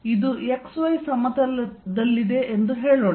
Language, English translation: Kannada, Let us say this is in the x y plane, x y